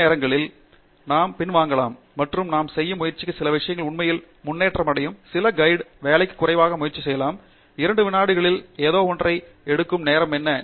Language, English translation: Tamil, Some other times we may step back and say that no, some of the thing that I am trying to do is actually to improve, may be make less effort for some manual work, may be to take something in 2 seconds, what used to take longer time